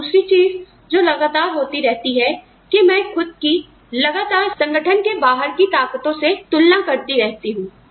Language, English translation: Hindi, And the other thing, that is constantly happening is, I am constantly comparing myself, to forces outside my organization